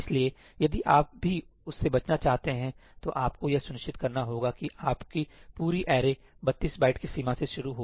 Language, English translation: Hindi, So, if you want to avoid that also, then you have to ensure that your entire array starts at a 32 byte boundary